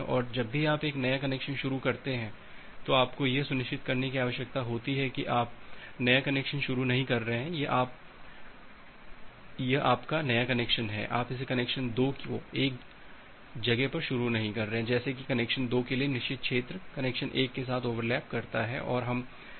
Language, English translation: Hindi, And whenever you are initiating a new connection you need to ensure that you are not starting the new connection say; this is your new connection, connection 2 you are not starting this connection 2 at a point such that the forbidden region for connection 2 overlaps with connection 1 so this we do not want